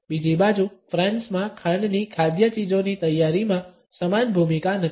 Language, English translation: Gujarati, On the other hand in France sugar does not have the similar role in the preparation of food items